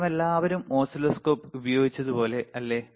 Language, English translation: Malayalam, So, like we have all used oscilloscope, right